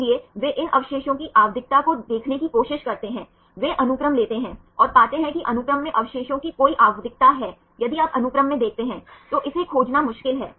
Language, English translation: Hindi, So, they try to see the periodicity of these residues, they take the sequence and find are there any periodicity of residues in the sequence right if you look into the sequence it is difficult to find